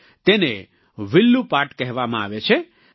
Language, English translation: Gujarati, It is called 'Villu paat'